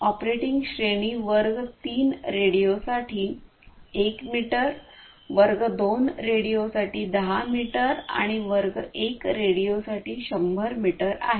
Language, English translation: Marathi, And the operating range is 1 meter for class 3 radios, 10 meters for class 2 radios and 100 meters for class 1 radios